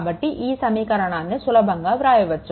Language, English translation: Telugu, So, you can easily write this equation